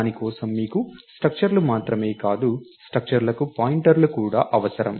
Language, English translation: Telugu, And for that you need not just structures, but also pointers to structures